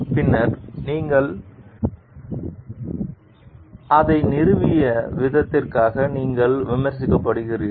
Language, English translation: Tamil, Afterward you are criticized for the way that you installed it